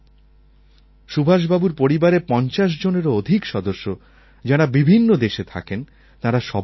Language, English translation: Bengali, More than 50 family members of Subhash Babu's family who stay in different countries are specially coming down to attend this meeting